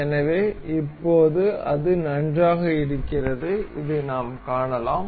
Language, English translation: Tamil, So, now it is nice and good, and we can see this